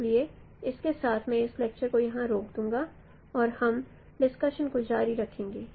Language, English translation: Hindi, So with this I will stop my lecture, this lecture here and we will continue this discussion